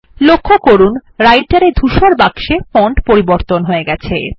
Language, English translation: Bengali, Now notice the font changes in the Writer gray box